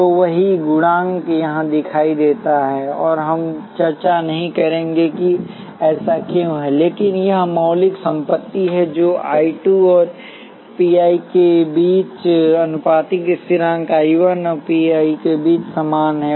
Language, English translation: Hindi, So, the same coefficient appears here and here we would not discuss why that is the case, but that is the fundamental property that is the proportionality constant between I 2 and psi 1 is the same as between I 1 and psi 2